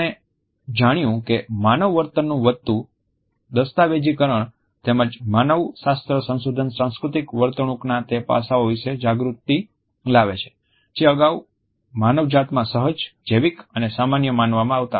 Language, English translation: Gujarati, We find that increasing documentation of human behavior as well as anthropological researches are creating awareness about those aspects of cultural behaviors which were previously considered to be instinctive, biological and common in humanity